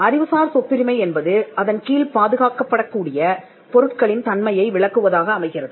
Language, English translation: Tamil, Intellectual property rights are descriptive of the character of the things that it protects